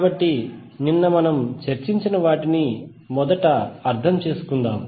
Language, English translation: Telugu, So, let us first understand what we discussed yesterday